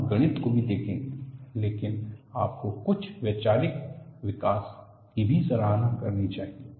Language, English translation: Hindi, We would see mathematics as well, but you should also appreciate some of the conceptual development